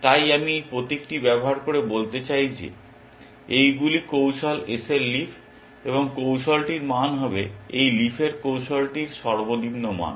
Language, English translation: Bengali, So, I just use this notation to say that these are the leaves of the strategy S, and the value of the strategy is the minimum of the value of the leaf of this of the strategy